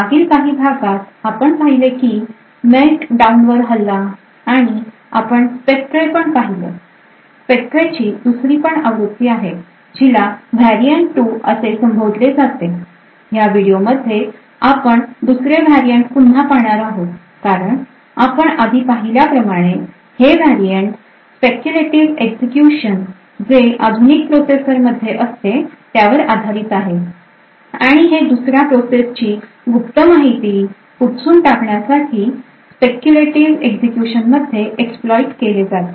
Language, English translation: Marathi, Hello and welcome to this lecture in the course for Secure Systems Engineering so in the previous video lectures we had looked at attack on Meltdown and also we looked at spectre there's another variant of spectre known as the variant 2 in this video we will look at this second variant of Spectre again as we have seen previously this variant is also based on the speculative execution of which is present in modern processors and it exploits this speculative execution in order to clean secret information out of another process